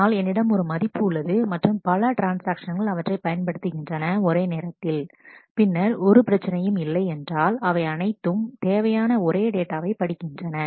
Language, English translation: Tamil, But if I have a value and multiple transactions read that at the same time certainly there is no problem because, all of them necessarily will read the same data